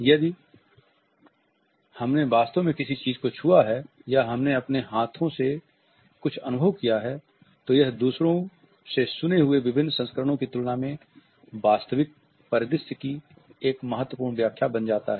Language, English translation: Hindi, If we have actually touched something or we have experienced something with our hands, then this becomes a significant interpretation of the scenario in comparison to various versions which we might have heard from others